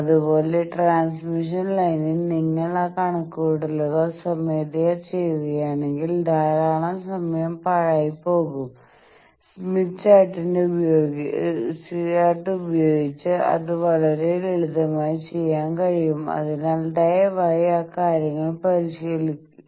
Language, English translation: Malayalam, Similarly, here that in transmission line if you get bog down into doing those calculations manually then lot of time gets wasted, that thing can be much simply done by this tool of smith chart so please practice those things